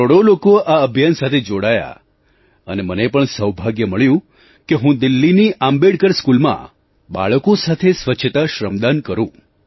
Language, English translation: Gujarati, Crores of people got connected with this movement and luckily I also got a chance to participate in the voluntary cleanliness shramdaan with the children of Delhi's Ambedkar School